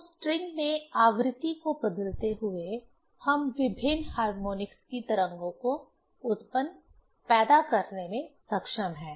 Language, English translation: Hindi, So, changing the frequency in the string, we are able to generate/produce the waves of different harmonics